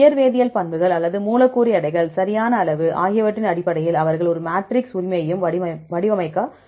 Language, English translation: Tamil, Also they can also design a matrix right based on the physicochemical properties or the molecular weights, right size